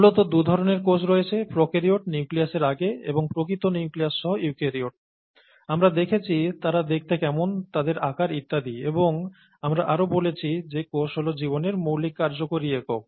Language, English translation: Bengali, And basically, there are two types of cells, prokaryotes, before nucleus, and the ones with a true nucleus, we saw how they looked, and their sizes and so on and we also said that cell is the fundamental functional unit of life